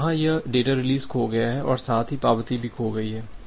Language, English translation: Hindi, So, here this data release is lost and as well as the acknowledgement is lost